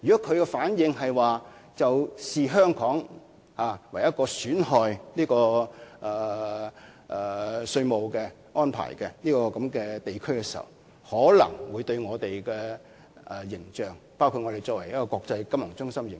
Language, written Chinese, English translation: Cantonese, 倘若其視香港為設有損害性稅務措施的地區，這便可能會損害我們的形象，包括國際金融中心的形象。, If it regards Hong Kong as a place with harmful taxation measures our image including the image as an international financial centre will be tarnished